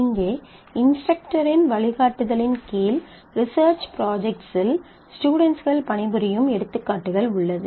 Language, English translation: Tamil, So, here are example students works on research projects under the guidance of an instructor